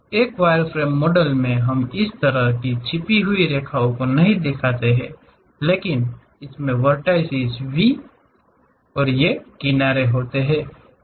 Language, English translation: Hindi, So, in wireframe model we do not show this kind of hidden lines, but it contains vertices V and these edges